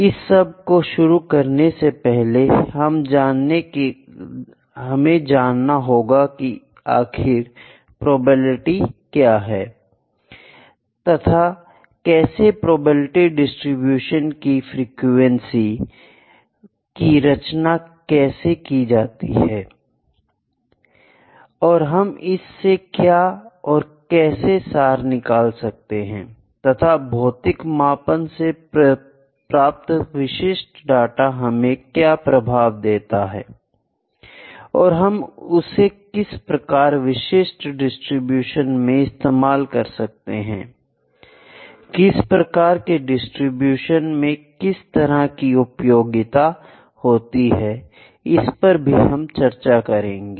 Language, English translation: Hindi, Before that, we will just look into what is probability you people also know what is probability, but how the frequency of probability distributions are designed and why and what can we extract from that what can what influence can be taken out of the fitting the data the specific data that we have obtained from measurements from the physical measurements how can we fit that into the specific distribution on which distribution has which kind of applications these things we will see